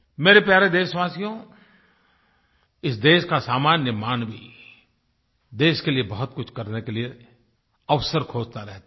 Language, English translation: Hindi, My dear countrymen, the common man of this country is always looking for a chance to do something for the country